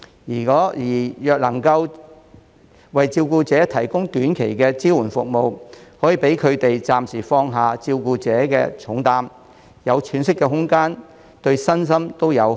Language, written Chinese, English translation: Cantonese, 若能為照顧者提供短期的支援服務，可讓他們暫時放下照顧者的重擔，有喘息的空間，對身心都有好處。, If carers can be provided with short - term respite services they may temporarily put aside their heavy caring responsibilities and have some breathing space . This will be physically and emotionally beneficial to them